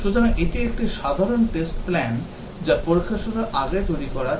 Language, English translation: Bengali, So, this is a typical test plan that is developed before the testing starts